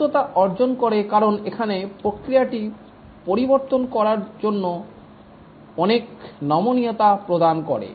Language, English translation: Bengali, Agility is achieved because here it gives lot of flexibility to change the process